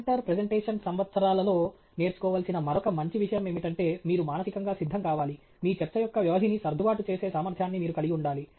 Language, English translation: Telugu, The other very nice thing that a presenter should learn over the years of the presentation, which you should get, you know, prepare for mentally is that you have to have the ability to adjust the duration of your talk okay